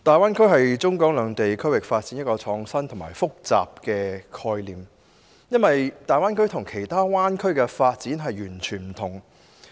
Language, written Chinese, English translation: Cantonese, 大灣區是中港兩地區域發展的一個創新而複雜的概念，因為它與世界其他灣區的發展全然不同。, The Guangdong - Hong Kong - Macao Greater Bay Area is an innovative but complex concept since it is distinctly different from all other bay areas around the world